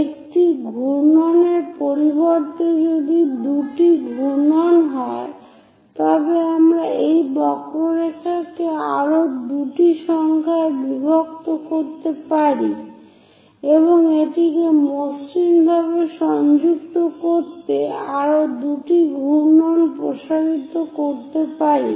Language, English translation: Bengali, Instead of one revolution if two revolutions are passing we are going to extend this curve to two more revolutions by dividing into many more number of parts and smoothly connecting it; with this, we are closing conical sections